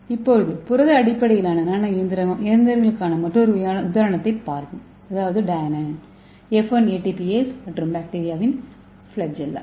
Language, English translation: Tamil, So let us see another example that is a protein based nano machines so that is Dynein, F1ATPase and Bacteria Flagella, okay